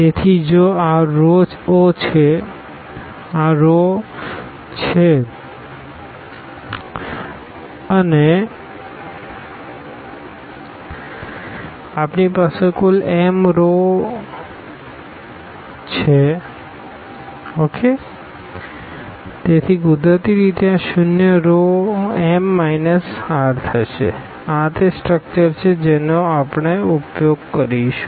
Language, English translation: Gujarati, So, if these are the r rows and we have total m rows, so, naturally these zero rows will be m minus r this is the structure which we will be using